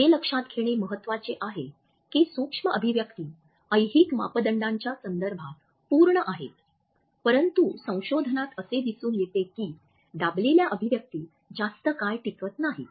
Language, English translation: Marathi, It is important to note that micro expressions are complete with respect to temporal parameters, but research shows that is squelched expressions are not although last longer